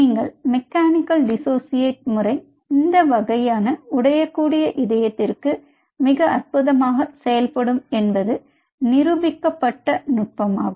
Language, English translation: Tamil, this mechanical dissociation does work and its a very proven technique for this kind of fragile heart that works fantastic